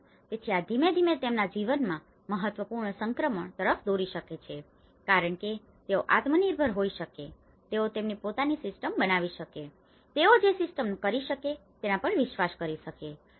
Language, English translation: Gujarati, So, this can gradually lead to an important transition in their lives because they can be self reliable, they can make their own system, they can rely on that system they can